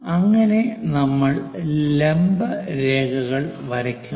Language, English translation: Malayalam, So, vertical lines we have drawn